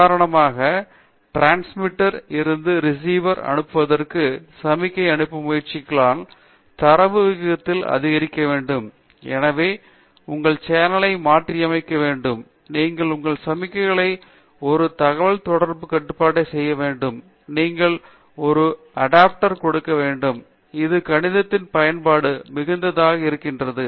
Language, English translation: Tamil, For example, if you are trying to send a signal from the transmitter to the receiver, the data rates have to are going up so you need to model your channel very well, you need do an adaptive control of your signal, you need to give a feedback adapter, it is a lot of mathematics probability too that goes in